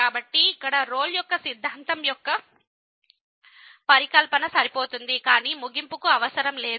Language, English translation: Telugu, So, here the hypothesis of the Rolle’s Theorem are sufficient, but not necessary for the conclusion